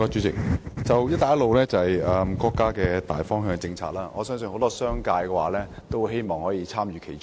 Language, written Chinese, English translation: Cantonese, "一帶一路"是國家的大方向政策，我相信很多商界人士也很希望參與其中。, The Belt and Road Initiative is a major national direction and policy . I believe a lot of members of the business sector are eager to be part of it